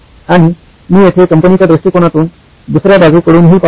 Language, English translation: Marathi, And here I am looking at from the company perspective, the other side of the parties